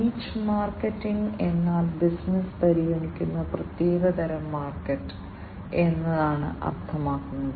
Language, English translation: Malayalam, Niche market means, the specific type of market that will be considered by the business